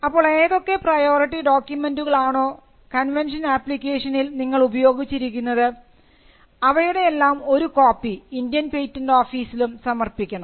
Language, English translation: Malayalam, So, whatever priority document that you used in the case of a convention application, copies of that has to be provided to the Indian patent office